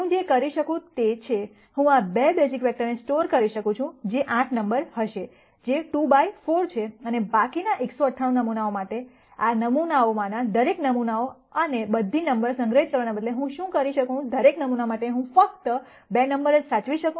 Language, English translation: Gujarati, What I could do is, I could store these 2 basis vectors that, would be 8 numbers which is 2 by 4 and for the remaining 198 samples, instead of storing all the samples and all the numbers in each of these samples, what I could do is for each sample I could just store 2 numbers right